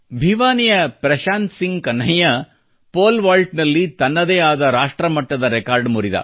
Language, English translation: Kannada, Prashant Singh Kanhaiya of Bhiwani broke his own national record in the Pole vault event